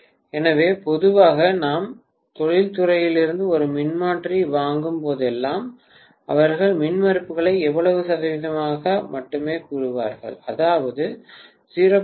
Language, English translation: Tamil, So, generally whenever we buy a transformer from the industry, they will only say the impedances so much percentage, that is may be 0